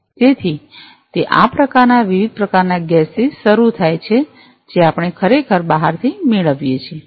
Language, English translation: Gujarati, So, it starts with this kind of different types of gas we actually procure from outside